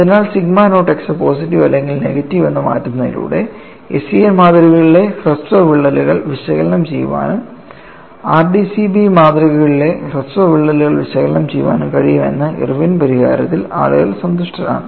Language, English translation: Malayalam, So, people are happy with Irwin solution that by changing the sigma naught x suitably as positive or negative, they could analyze short cracks in SCN specimens and they could analyze short cracks in the case of RDCB specimens